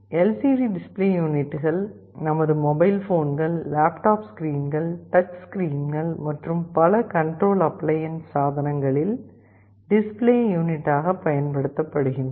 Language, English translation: Tamil, The LCD display units are used as the display screen in numerous applications starting from many of our mobile phones, our laptop screens, touch screens, many control appliances everywhere